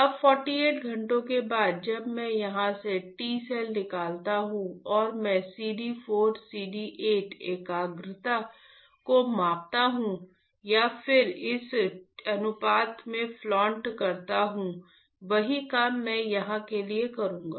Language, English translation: Hindi, Now, after 48 hours when I take out T cells from here and I measure CD 4 CD 8 concentration or and then plot it in a ratio, same thing I will do for here and same thing I will do it for here